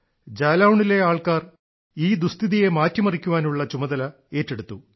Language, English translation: Malayalam, The people of Jalaun took the initiative to change this situation